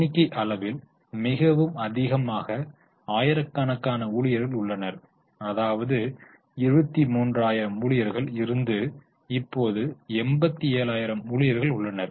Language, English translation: Tamil, The number of employees are pretty high in terms of thousands, so it is 23,000 employees and now it is 187,000 employees